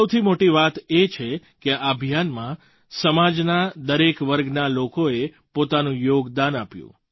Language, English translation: Gujarati, And the best part is that in this campaign, people from all strata of society contributed wholeheartedly